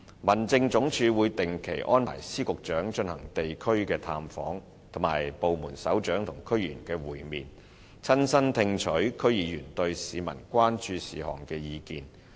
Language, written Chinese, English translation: Cantonese, 民政總署會定期安排司局長進行地區探訪，以及安排部門首長與區議員會面，親身聽取區議員對市民關注事項的意見。, HAD will arrange for Secretaries of Departments and Directors of Bureaux to conduct regular district visits and arrange for Heads of Departments to meet with DC members so that they may personally listen to DC members views on public concerns